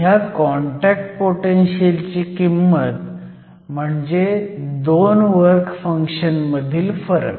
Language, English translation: Marathi, So, we can depict the contact potential here which is the difference between the work functions